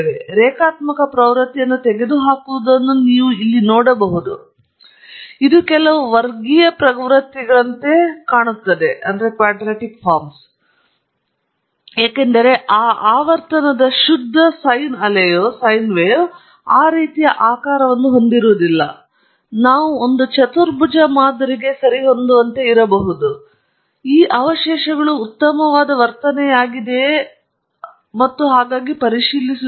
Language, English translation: Kannada, So, you can see here the linear trend as been taken off, but it seems to be some quadratic trends as well, because a pure sine wave of that frequency cannot have a shape like that; may be we can fit a quadratic model as well, and check if the residuals are much better behaved and so on